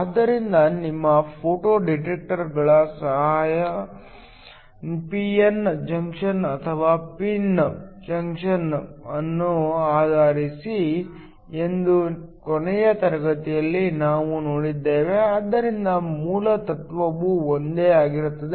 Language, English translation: Kannada, So, last class we saw that your photo detectors are also based upon a p n junction or a pin junction so the basic principle is similar